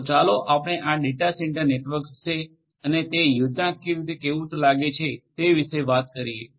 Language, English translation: Gujarati, So, let us talk about this data centre networks and how they look like schematically let us talk about that